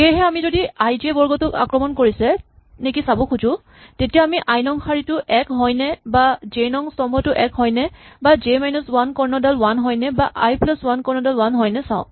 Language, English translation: Assamese, Therefore, we look for if we want to see if i j squares under attack we check whether it is row i is one or column j is 1 or j minus 1, diagonal is 1 or i plus j diagonal is 1